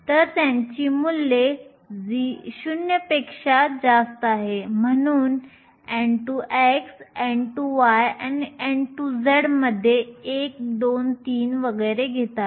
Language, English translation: Marathi, So, they have values greater than 0, so n x, n y and n z take values a 1, 2, 3 and so on